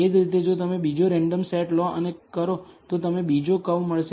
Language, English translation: Gujarati, Similarly, if you take another random set and do it, you will bet another curve